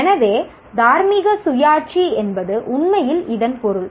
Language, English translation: Tamil, So, moral autonomy really means that